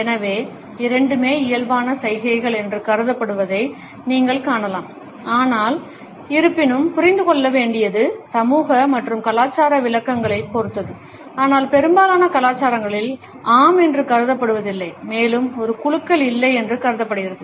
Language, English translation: Tamil, So, you would find that both are presumed to be inborn gestures, but; however, nod is to be understood, depends on the social and cultural interpretations, but in most cultures are not is considered to be a yes and a shake is considered to be a no